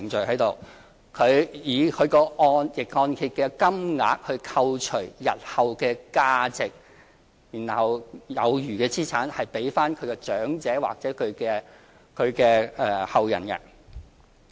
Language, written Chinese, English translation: Cantonese, 它是以逆按揭的金額扣除日後的價值，然後有餘的資產會歸還給長者或其後人。, In fact it operates by deducting the future values from the amount of the reverse mortgage in which any remaining values will be returned to the elderly persons concerned or their descendants